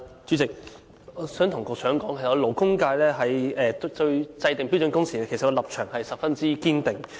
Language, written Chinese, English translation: Cantonese, 主席，我想告訴局長，勞工界對制訂標準工時的立場十分堅定。, President I wish to tell the Secretary that the labour sector has taken a very firm stance on the setting of standard working hours